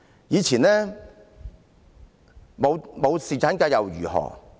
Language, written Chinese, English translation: Cantonese, 以前沒有侍產假又如何？, We did not enjoy any paternity leave in the past and so what?